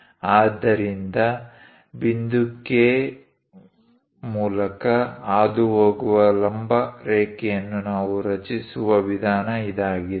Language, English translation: Kannada, So, this is the way we construct a perpendicular line passing through point K